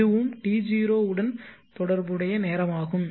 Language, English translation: Tamil, This is the time also corresponding to T